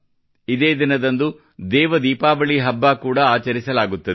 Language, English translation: Kannada, 'DevDeepawali' is also celebrated on this day